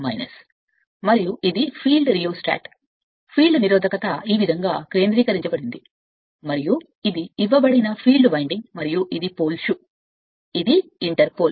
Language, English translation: Telugu, And this is the field rheostat field resistance this way it has been symbolized and this is the field winding it is given right and this is pole shoe here, this is inter pole